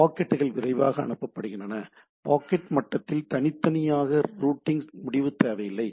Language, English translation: Tamil, Packets are forwarded more quickly, no routing decision is required for individually at the packet level